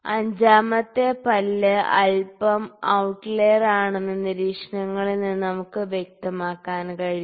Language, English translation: Malayalam, So, we can see the observations the 5th tooth is a little outlier, ok